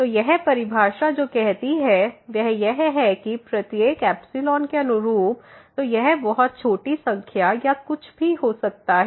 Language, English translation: Hindi, So, what this definition says is that corresponding to every epsilon; so this could be a very small number or anything